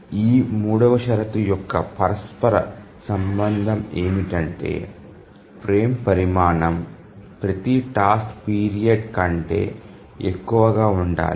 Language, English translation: Telugu, A corollary of this third condition is that the frame size has to be greater than every task period